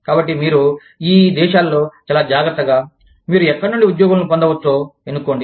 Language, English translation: Telugu, So, you select these countries, very carefully, where you can get, employees from